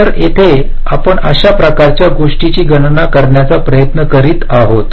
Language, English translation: Marathi, ok, so here also we are trying to calculate that kind of a thing